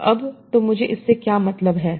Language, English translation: Hindi, So now, so what do we mean by this